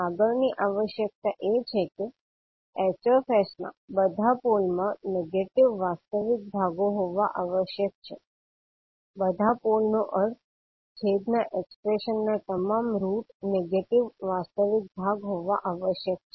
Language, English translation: Gujarati, Next requirement is that all poles of Hs must have negative real parts, all poles means, all roots of the denominator expression must have negative real part